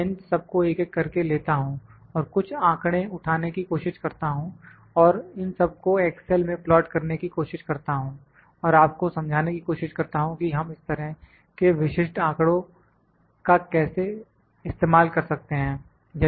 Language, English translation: Hindi, I will take them one by one and try to pick some data and try to plot these in excel and try to explain you that how do we use these specific kind of data